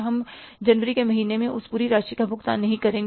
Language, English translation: Hindi, We are not going to pay that whole amount in the month of January